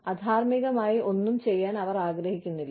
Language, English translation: Malayalam, They do not want to do, anything unethical